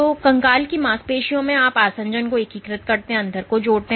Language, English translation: Hindi, So, in skeletal muscle cells you have in adhesion to integrins which link the inside